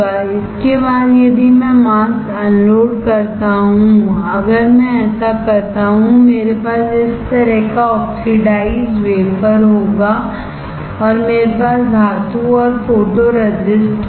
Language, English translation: Hindi, That after I unload the mask if I do this, I will have oxidized wafer like this and I will have metal and photoresist